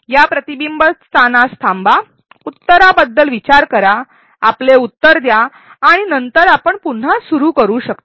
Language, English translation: Marathi, Pause at this reflection spot, think about the answer, submit your answer and then we can resume